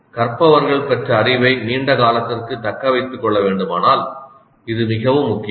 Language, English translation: Tamil, Now this is very important if the learners have to retain their knowledge acquired for longer periods of time